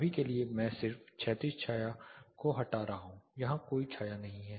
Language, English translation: Hindi, For now I am just removing the horizontal shade there is no shade here